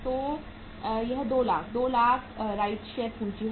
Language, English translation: Hindi, 200,000 is the share capital right